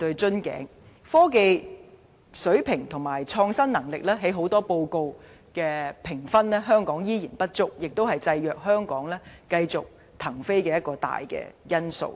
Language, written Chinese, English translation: Cantonese, 香港的科技水平與創新能力在很多國際評級報告的評分依然不足，這也是限制香港繼續騰飛的一大因素。, Hong Kongs standard of innovation and technology is still not adequate according to many international assessment reports which is a major limitation restricting our advancement